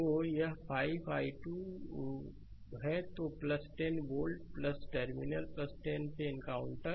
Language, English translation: Hindi, So, it is 5 i 2 then encountering plus 10 volt plus terminal plus 10 right